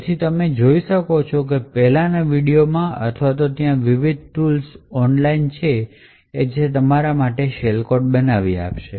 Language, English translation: Gujarati, So, you could look at the previous video or there are various tools online which would create these shell code for you